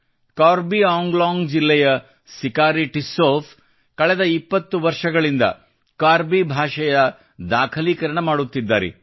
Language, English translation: Kannada, Sikari Tissau ji of Karbi Anglong district has been documenting the Karbi language for the last 20 years